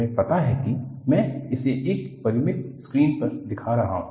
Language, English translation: Hindi, I am showing it in a finite screen